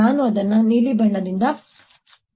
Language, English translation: Kannada, let's make it with blue